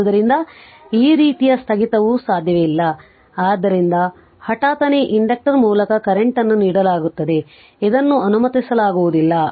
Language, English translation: Kannada, So, this kind of discontinuous not possible right so this is given current through inductor this is not allowed right